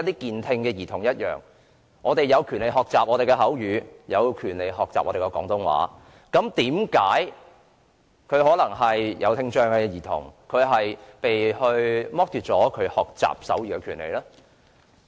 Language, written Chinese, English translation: Cantonese, 健聽兒童有權學習口語和廣東話，為何聽障兒童要被剝奪學習手語的權利呢？, Children with normal hearing have the right to learn spoken language and Cantonese . Why should we deprive children with hearing impairment of the right to learn sign language?